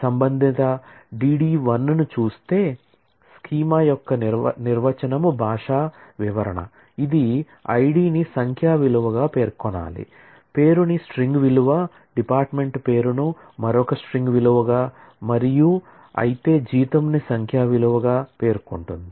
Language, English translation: Telugu, If we look at the corresponding D D l, the definition language description of the schema, which must have specified I D as a numeric value, the name as a string value the department name as another string value whereas, salary as a numeric value and so on